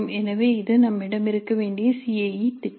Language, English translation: Tamil, So this is the CAE plan that we must have